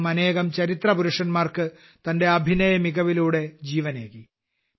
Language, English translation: Malayalam, He revived many historical characters on the basis of his acting